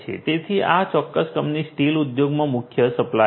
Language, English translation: Gujarati, So, this particular company is a major supplier in the steel industry